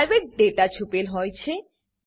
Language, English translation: Gujarati, The private data is hidden